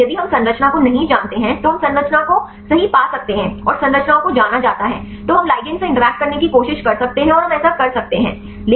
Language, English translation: Hindi, So, if we do not know the structure we can get the structure right and the structures are known then we can try to interact to the ligand and we can a do that